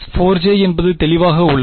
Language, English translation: Tamil, Minus 4 j is that clear